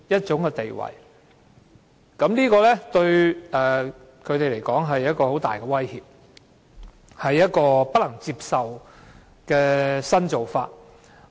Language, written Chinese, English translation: Cantonese, 這對建制派議員來說是一種很大的威脅，亦是一種不能接受的新做法。, To Members from the pro - establishment camp this is a very serious challenge as well as a new approach considered by them to be unacceptable